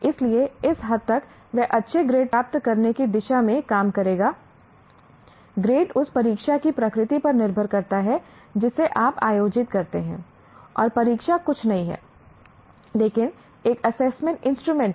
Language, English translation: Hindi, So to that extent he will work towards getting that good grade, that grade is dependent on the nature of the test or examination that you conduct and a test or examination is nothing but an assessment instrument